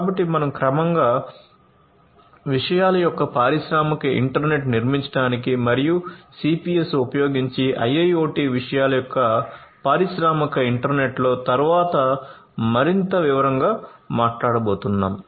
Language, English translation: Telugu, So, we are gradually leaping forward towards building industrial internet of things and in, you know, the industrial internet of things IIoT using CPS, we are going to talk about in further detail later on